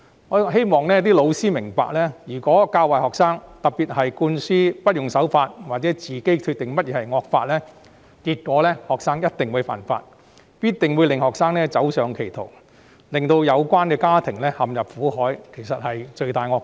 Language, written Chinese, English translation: Cantonese, 我希望教師明白，如果他們教壞學生，特別是向學生灌輸無須守法或可自行決定何謂惡法的概念，學生便一定會犯法，亦一定會走上歧途，令他們的家庭陷入苦海，這樣教師真的是罪大惡極。, I hope teachers will understand that if they exert a bad influence on students especially instilling in them the concepts that they do not need to abide by the law or can decide on their own what constitutes a draconian law the students are more prone to break the law and go astray thereby plunging their families into misery . In that case such teachers will have committed heinous crimes